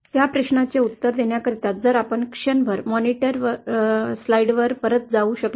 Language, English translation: Marathi, To answer that question if we can go back to the monitor slides for a moment